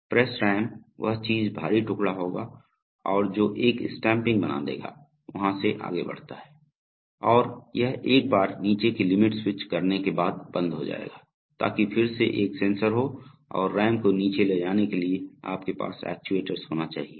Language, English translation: Hindi, The press ram, the thing that will the heavy piece which will move and make a stamping, it advances down, And it will stop once it makes the bottom limit switch, so that is again a sensor and you must have actuators to make the RAM move down